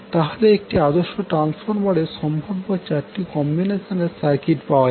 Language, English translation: Bengali, So we can have four possible combinations of circuits for the ideal transformer